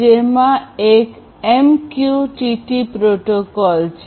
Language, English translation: Gujarati, So, this is how this MQTT protocol works